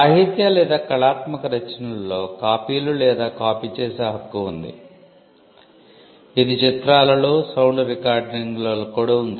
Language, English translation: Telugu, The right to copy or make for the copies exists in literary or artistic works, it exists in films, in sound recordings as well